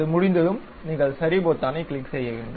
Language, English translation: Tamil, Once it is done, you have to click Ok button